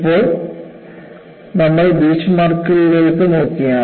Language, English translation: Malayalam, Now, we move on to, what are known as Beachmarks